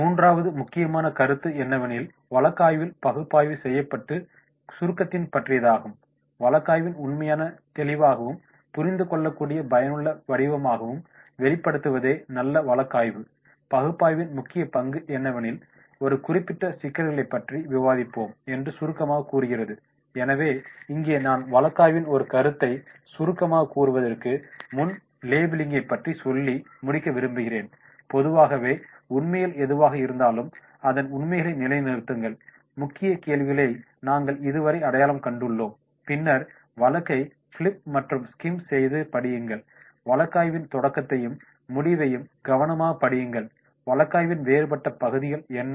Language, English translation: Tamil, The third point which is coming out that is about the summarizing in the case analysis process, the key to good case analysis is to break down the case facts into a clear and understandable and useful form and this type of summarising that we will discuss about the particular issues are there, so here before I go for the summarising I will like to conclude the labelling in a way that is whatever the facts are that, the level the facts then what are the objectives so far we have identify the key questions then flip through the case then the skim read the case, carefully read the beginning and end of the case, what are the different fraction the case